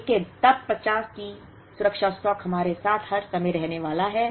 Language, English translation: Hindi, But, then the safety stock of 50 is going to be with us all the time